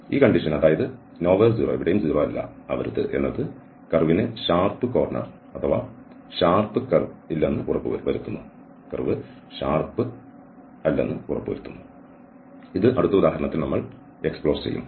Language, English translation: Malayalam, So, this condition nowhere 0 ensures that the curve has no sharp corner or curves this we will explore in the next example